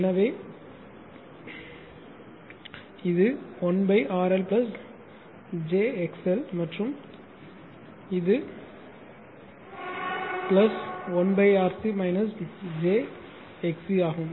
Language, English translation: Tamil, So, it is 1 upon RLR L plus j XLX L and this is your plus 1 upon RC R C minus j XC XC right